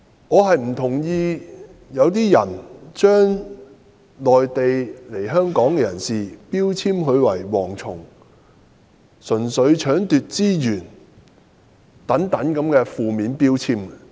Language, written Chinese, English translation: Cantonese, 我不同意把內地來港人士標籤為"蝗蟲"，並掛上純粹搶奪資源等負面標籤。, I do not agree to labelling Mainland immigrants as locusts and stigmatizing them as pure robbers of our resources